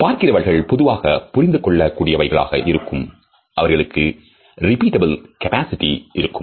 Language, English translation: Tamil, They can be in general understood by viewers and they also have what is known as a repeatable capability